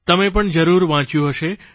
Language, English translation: Gujarati, You too must have read it